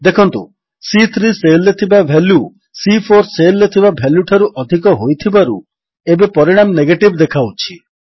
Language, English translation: Odia, Since the value in cell C3 is greater than the value in cell C4, the result we get is TRUE